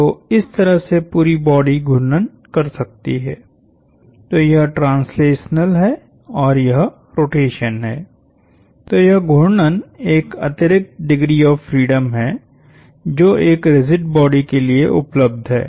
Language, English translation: Hindi, So, the whole body could rotate in this fashion, so this is translation and this is rotation, so this rotation is an additional degree of freedom that is enabled for a rigid body